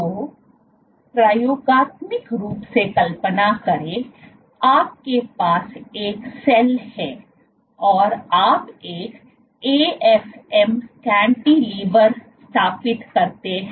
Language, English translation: Hindi, So, experimentally imagine, you have a cell and you setup an AFM cantilever